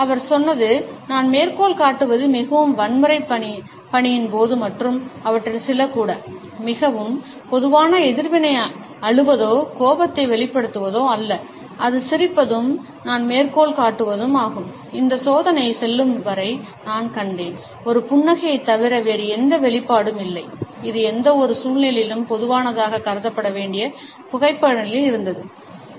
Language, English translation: Tamil, He had said and I quote that even during the most violent task and some of them were, the most common reaction was not either to cry or to express anger, it was to smile and I quote “So far as this experiment goes I have found no expression other than a smile, which was present in a photographs to be considered as typical of any situation”